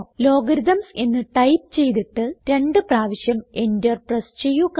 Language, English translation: Malayalam, Type Logarithms: and press Enter twice